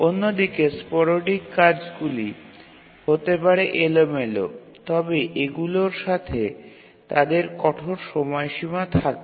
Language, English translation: Bengali, On the other hand there may be sporadic tasks which are again random but these have hard deadlines with them